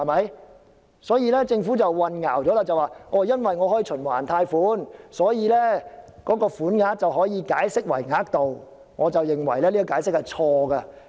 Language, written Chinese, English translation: Cantonese, 因此，政府的說法是混淆了，即因為可以循環貸款，所以便可以把"款額"解釋為"額度"，我認為這解釋是錯的。, Am I right? . Hence the Governments remark that the word sum can be interpreted as a limit because borrowing can be made on a revolving basis is confusing . I consider this a wrong interpretation